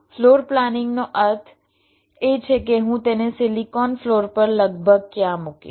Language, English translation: Gujarati, floor planning means approximately where i will place it on the silicon floor